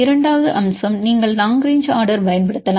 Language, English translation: Tamil, Then the second feature you can use long range order